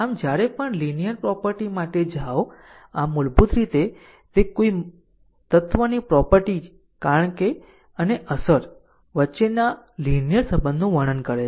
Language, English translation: Gujarati, So, whenever, we go for linearity property, so basically it is the property of an element describe a linear relationship between cause and effect